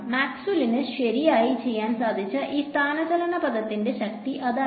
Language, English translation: Malayalam, And that was really the power of this displacement current term over here which Maxwell was able to do right